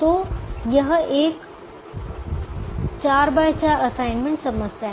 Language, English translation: Hindi, so it is a four by four assignment problem